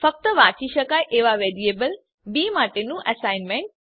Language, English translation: Gujarati, Assignment of read only variable b